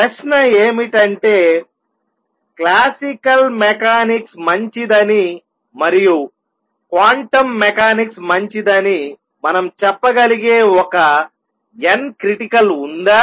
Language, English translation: Telugu, It likes is now the question arises question is there a n critical beyond which we can say that classical mechanics is good and below which quantum mechanics is good